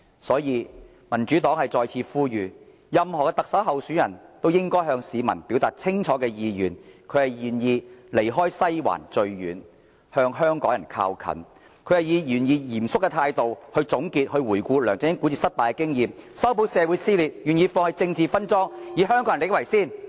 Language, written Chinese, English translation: Cantonese, 因此，民主黨再次呼籲，所有特首候選人均應向市民表達清楚意願，就是願意"離西環最遠，向香港人靠近"；願意以嚴肅的態度總結和回顧梁振英管治失敗的經驗，修補社會裂痕；願意放棄政治分贓，以香港人的利益為先。, Hence the Democratic Party once again implores all candidates of the Chief Executive Election to clearly express their aspirations that is they are willing to distance from the Western District and draw close to the people of Hong Kong to conclude and review the failures in administration of LEUNG Chun - ying seriously and mend the rifts in society and to give up the practice of sharing political spoils and put the interests of the people of Hong Kong above all